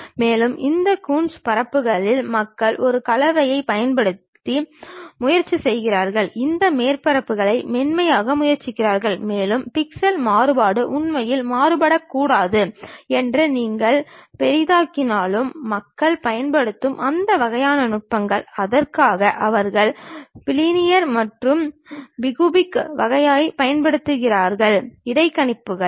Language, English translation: Tamil, And further on these Coons surfaces, people try to use a blending, try to smoothen these surfaces and even if you are zooming that pixel variation should not really vary, that kind of techniques what people use, for that they use bilinear and bi cubic kind of interpolations also